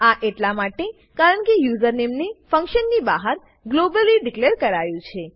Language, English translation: Gujarati, This is because username was declared globally outside the function